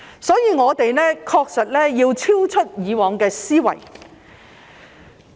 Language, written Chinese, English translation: Cantonese, 所以，我們確實要超越以往的思維。, Therefore we indeed have to go beyond our old way of thinking